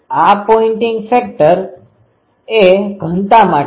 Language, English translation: Gujarati, This pointing vector is for density